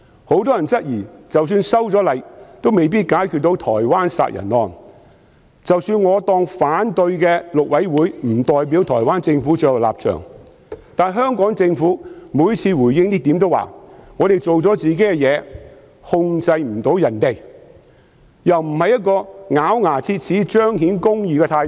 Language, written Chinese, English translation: Cantonese, 很多人質疑即使修例後亦未必能夠解決台灣謀殺案的問題，即使我們假設反對的大陸委員會並不代表台灣政府的最後立場，但香港政府每次回應此事時都說"我們做了自己的事，控制不到別人"，這樣又不見得是咬牙切齒、彰顯公義的態度。, Many people have queried that even if the amendments were passed the problems concerning the murder case in Taiwan could not be solved . Even if we assume that the Mainland Affairs Council which has raised opposition does not represent the ultimate stance of the Government of Taiwan but the Hong Kong Government only indicated that we have done our part and we cannot control the others every time it gave a response in respect of this issue . It is not an attitude of clenching ones teeth to uphold justice